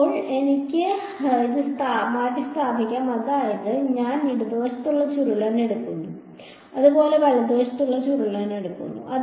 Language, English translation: Malayalam, Now, I can substitute this I mean this I took the curl on the left hand side similarly I will take the curl on the right hand side as well